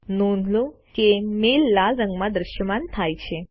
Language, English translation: Gujarati, Notice that the mail is displayed in the colour red